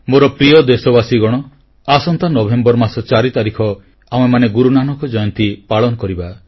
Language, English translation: Odia, My dear countrymen, we'll celebrate Guru Nanak Jayanti on the 4th of November